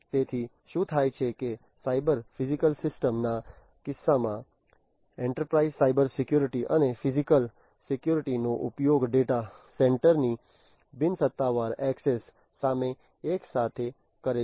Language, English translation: Gujarati, So, what happens is that in the case of a cyber physical system enterprises use Cybersecurity and physical security simultaneously against unofficial access to data centers